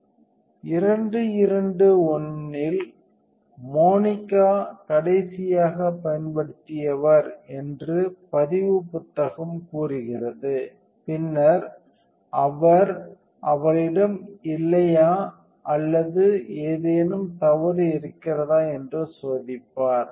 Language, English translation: Tamil, And the logbook would say that the last person who used it was Monica on 221 and then he would check no she had or anything was wrong